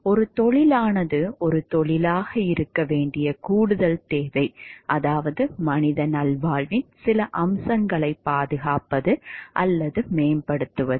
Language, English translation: Tamil, The further requirement for an occupation to be a profession, namely that the end it seeks are to preserve, or promote some aspects of human well being